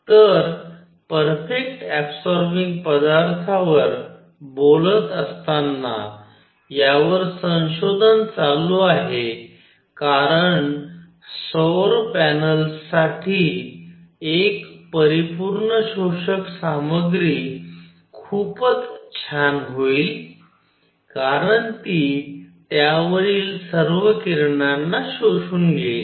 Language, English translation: Marathi, By the way just talking on the perfect absorbing material, there is research going on into this because a perfect absorbing material would be very nice for solar panels because it will absorb all the radiation coming on to it